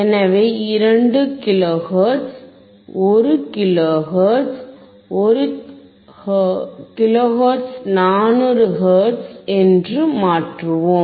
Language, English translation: Tamil, So, let us change to 2 kilo hertz, 1 kilo hertz, 1 kilo hertz, 400 hertz, ok